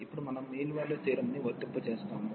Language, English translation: Telugu, And now we will apply the mean value theorem